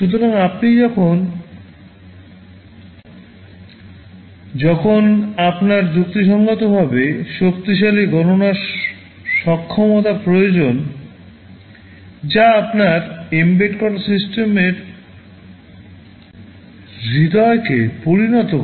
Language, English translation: Bengali, So, you use ARM processor when you need reasonably powerful computation capability that will make the heart of your embedded system right